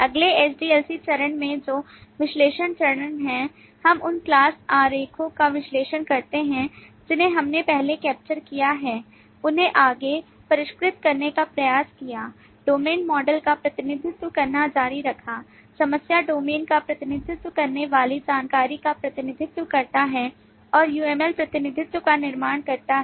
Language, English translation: Hindi, In the next SDLC phase, which is the analysis phase, we analyze the class diagrams that we have captured earlier, tried to refine them further, continuing to represent the domain models, represent the information that the problem domain has and build up the UML representation of the problem, along with several other behavioral models which we will discuss in subsequent stages Further in the SDLC